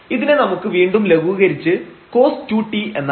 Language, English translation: Malayalam, So, this we can again simplify to have this cos 2 t